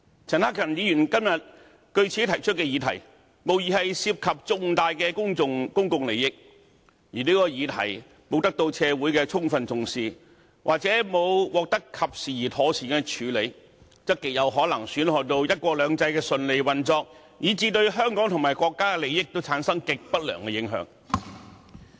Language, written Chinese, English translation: Cantonese, 陳克勤議員今天據此提出的議題，無疑涉及重大公共利益，而這項議題如果沒有得到社會的充分重視，或者沒有獲得及時而妥善的處理，則極有可能損害到"一國兩制"的順利運作，以至對香港和國家的利益產生極不良的影響。, The question raised by Mr CHAN Hak - kan today in accordance with the rule undoubtedly concerns major public interest . And if the question is not given adequate consideration by society or not properly dealt with in a timely manner it will very likely jeopardize the smooth functioning of one country two systems and cause extremely negative effects on Hong Kong and the country